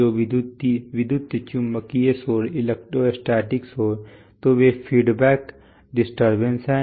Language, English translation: Hindi, So electromagnetic noise, electrostatic noise, so they are the feedback disturbances